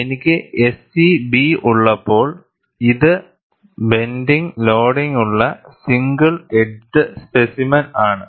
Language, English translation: Malayalam, When I have SEB, it is the single edged specimen with a bending loading